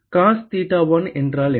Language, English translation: Tamil, What is cos theta 1